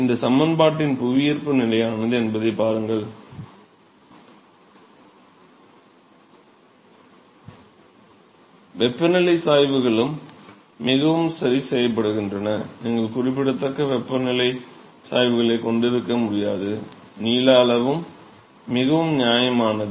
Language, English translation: Tamil, So, look at this expression gravity is fixed there is a fixed bound for compressibility factor the temperature gradients is also fairly fixed, it is not that you can have a significant temperature gradients, length scale is also fairly …